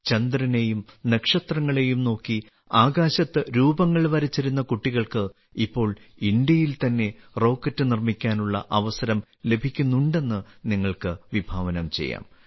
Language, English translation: Malayalam, You can imagine those children who once used to draw shapes in the sky, looking at the moon and stars, are now getting a chance to make rockets in India itself